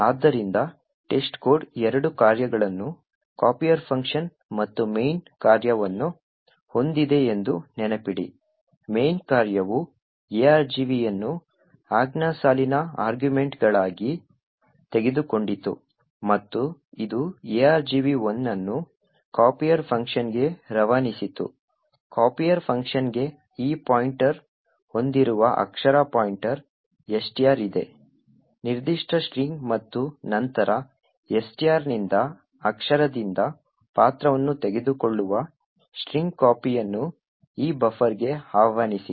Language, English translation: Kannada, So recollect that the test code had two functions a copier function and a main function, the main function took the argv as command line arguments and it passed argv 1 to the copier function, the copier function had a character pointer STR which have this pointer to this particular string and then invoke string copy taking character by character from STR into this buffer